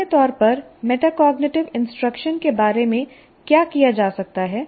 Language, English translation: Hindi, And in general what can be done about metacognitive instruction